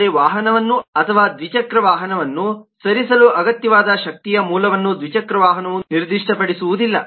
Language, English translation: Kannada, but the two wheeler does not specify as to the source of energy that is required to move the vehicle or the two wheeler